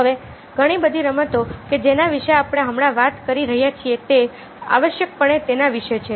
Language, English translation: Gujarati, now, many of the games that we are talking about right now are essentially about that